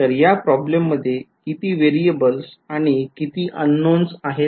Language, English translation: Marathi, So, how many variables does this problem present, how many unknowns are there